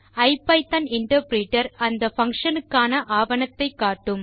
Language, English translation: Tamil, Ipython interpreter will show the documentation for the function